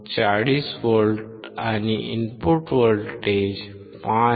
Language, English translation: Marathi, 40 volt and input voltage is 5